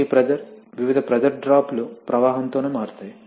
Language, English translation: Telugu, That now, as we know that these pressure, various pressures drops vary with flow itself